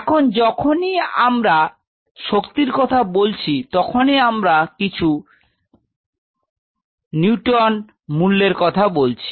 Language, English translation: Bengali, Now whenever we talk about force, we are talking about some Newton value right something